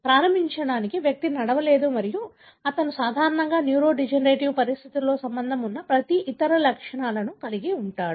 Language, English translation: Telugu, To begin with, the individual cannot walk and he will have every other symptoms that are normally associated with neurodegenerative conditions